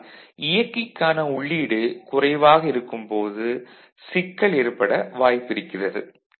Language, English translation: Tamil, But there may be an issue when the input to the driver is low